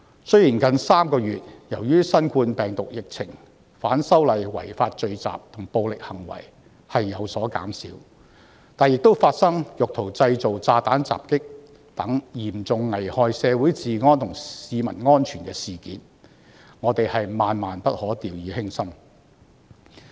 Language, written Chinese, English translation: Cantonese, 雖然由於新冠病毒的疫情，近3個月的反修例違法聚集和暴力行為已有所減少，但亦發生意圖製造炸彈襲擊等嚴重危害社會治安和市民安全的事件，我們萬萬不可掉以輕心。, Although there have been fewer unlawful assemblies and violent acts relating to the opposition to the proposed legislative amendments in the past three months amid the novel coronavirus epidemic incidents including attempts to initiate bomb attacks that seriously endanger law and order in the community and public safety must not be taken lightly